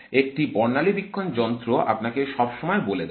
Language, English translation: Bengali, The spectroscopy tells you all the time